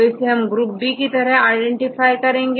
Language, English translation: Hindi, So, this is identified as group B right